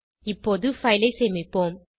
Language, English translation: Tamil, Lets save the file now